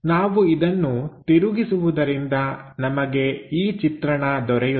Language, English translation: Kannada, So, if we are rotating that, we get this view